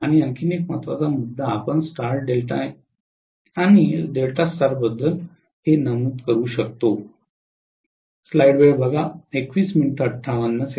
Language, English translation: Marathi, And one more major point we have to mention about Star delta and delta star is that